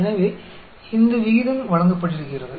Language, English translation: Tamil, So, this rate is given